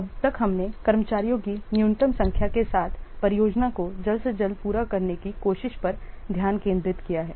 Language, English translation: Hindi, So, far we have concentrated on trying to complete the project by the earliest completion day technique with the minimum number of staffs